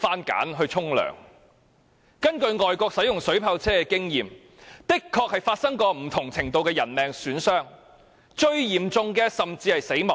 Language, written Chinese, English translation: Cantonese, 根據外國的經驗，水炮車確曾造成不同程度的人命損傷，而最嚴重的甚至是死亡。, According to the experience of overseas countries water cannon vehicles have indeed caused casualties of various degrees with the most serious casualty being death